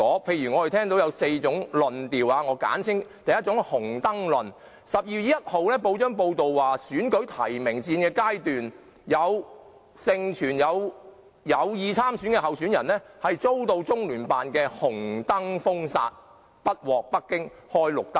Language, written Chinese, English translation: Cantonese, 我們聽到有4種論調：第一是"紅燈論"；去年12月1日的報章報道，在選戰的提名階段，盛傳有意參選的候選人遭到中聯辦"紅燈"封殺，參選不獲北京開"綠燈"。, We have heard of four theories . The first is the theory of red light . It was reported in the press on 1 December last year that at the nomination stage of the election it was widely rumoured that a person intending to run for the Chief Executive was barred by LOCPG as Beijing did not give the green light for his candidacy